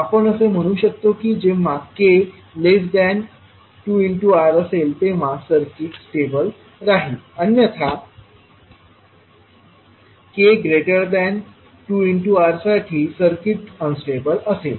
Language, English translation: Marathi, So what we can say that the circuit will be stable when k is less than 2R otherwise for K greater than 2R the circuit would be unstable